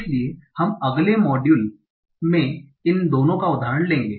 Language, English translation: Hindi, So we will take examples of both of these in the next module